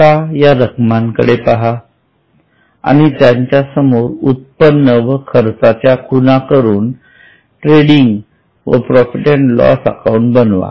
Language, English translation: Marathi, Now have a look at these balances, mark the items of income and expense and then prepare trading and P&L account